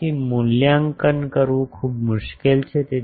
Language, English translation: Gujarati, So, that is difficult to evaluate